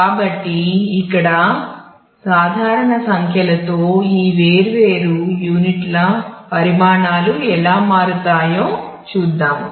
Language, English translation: Telugu, So, here at the typical numbers of how these sizes of this different units turn out to be